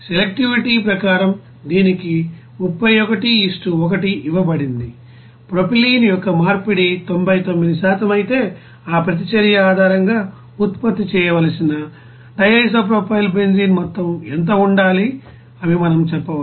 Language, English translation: Telugu, And as per selectivity it is given the 31 : 1, we can say that conversion of propylene if it is 99% then what should be the amount of DIPB to be produced based on that you know reaction